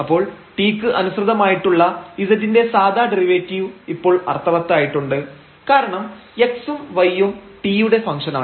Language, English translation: Malayalam, So, the ordinary derivative of z with respect to t which makes sense now because x and y are functions of t